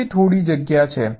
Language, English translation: Gujarati, there is some space in between